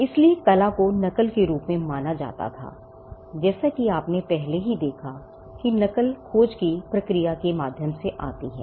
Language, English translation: Hindi, So, art was regarded as a form of imitation and imitation as you already saw came through the process of discovery